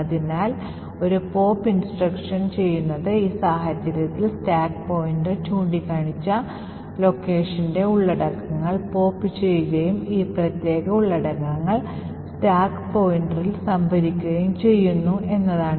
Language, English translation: Malayalam, So, what this pop instruction does is that it pops the contents of the location pointed to by the stack pointer in this case A and stores these particular contents in the stack pointer